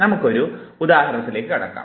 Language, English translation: Malayalam, Let us now come across one of the examples